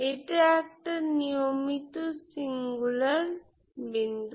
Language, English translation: Bengali, So this is actually regular singular point